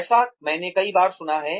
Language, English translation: Hindi, I have heard this, so many times